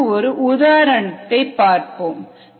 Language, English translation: Tamil, to understand this, let us take an example